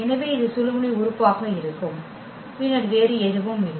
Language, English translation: Tamil, So, this is going to be the pivot element and then nothing else